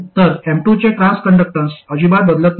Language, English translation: Marathi, So the transconductance of M2 doesn't change at all